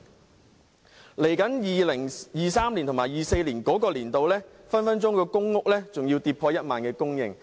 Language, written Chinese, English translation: Cantonese, 未來在 2023-2024 年度，公屋供應隨時更會跌破1萬戶。, In 2023 - 2024 public housing supply will probably fall below 10 000 flats